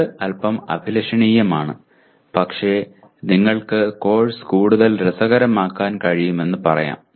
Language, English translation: Malayalam, It is a bit ambitious but let us say you can make the course more interesting